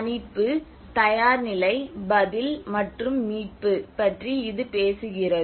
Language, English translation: Tamil, It talks about mitigation, preparedness, response, and recovery